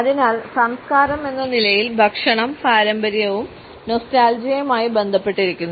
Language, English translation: Malayalam, So, food as culture is related to tradition and nostalgia